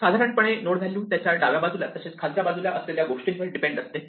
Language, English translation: Marathi, In general a node the value depends on things to it left and below